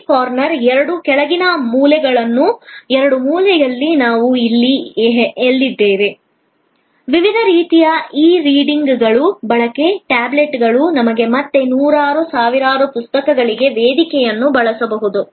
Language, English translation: Kannada, And then, I have shown you on the left side corner, the two corners bottom corners, the left corner is where we are today, the use of different kinds of e readers, tablets which can be use us a platform for again hundreds, thousands of books